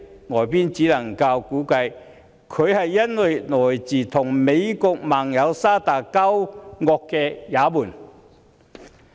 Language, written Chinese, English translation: Cantonese, 外界只能估計，原因是她來自與美國盟友沙特交惡的也門。, The guess was that the journalist came from Yemen which was an enemy of Saudi Arabia an ally of the United States